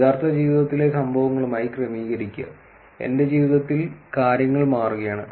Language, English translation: Malayalam, Adjust to a real life events and things are changing in my life